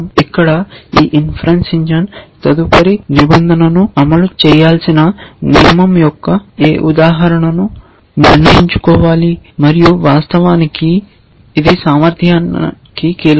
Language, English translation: Telugu, This inference engine here has to decide which instance of the rule to execute next and therein of course, lies the key to efficiency